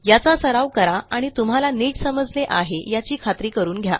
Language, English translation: Marathi, So, practice these and make sure you learn them well